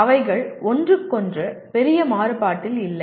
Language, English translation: Tamil, They are not at great variance with each other